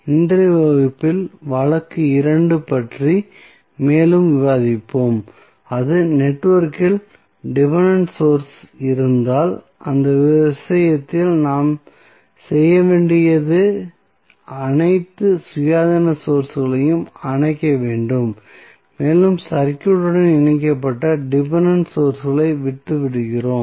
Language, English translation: Tamil, So, now, this was the case which we discuss in the last class to in today's class, we will discuss more about case 2 that means, if the network has dependent sources, so, in that case what we have to do, we have to turn off all the Independent sources only that means that we will only turn off the Independent sources while we leave the Independent sources connected to the circuit